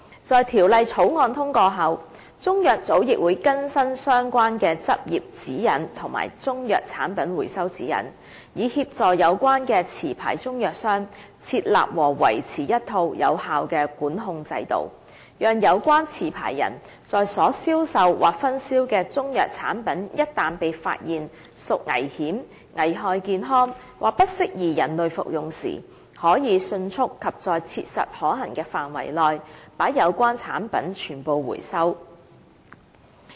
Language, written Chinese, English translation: Cantonese, 在《條例草案》通過後，中藥組亦會更新相關的執業指引和《中藥產品回收指引》，以協助有關持牌中藥商，設立和維持一套有效的管控制度，讓有關持牌人在所銷售或分銷的中藥產品一旦被發現屬危險、危害健康或不適宜人類服用時，可以迅速及在切實可行的範圍內，把有關產品全部收回。, After the passage of the Bill CMB would amend the relevant practising guidelines and the Recall Guidelines for Chinese Medicine Products to reflect the changes sought to be made by the Bill so as to assist the licensed Chinese medicines traders concerned to set up and maintain a system of control to enable the rapid and so far as practicable complete recall of the Chinese medicine products sold or distributed by the licence holder concerned in the event of such products being found to be dangerous injurious to health or unfit for human consumption